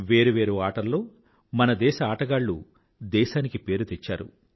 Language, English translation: Telugu, In different games, our athletes have made the country proud